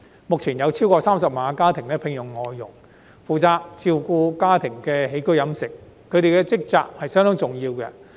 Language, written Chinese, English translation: Cantonese, 目前，超過30萬個家庭需要聘用外傭，負責照顧家庭的起居飲食，他們的職責相當重要。, At present over 300 000 families have to employ FDHs to take care of their living and dietary needs . The role of FDHs is very important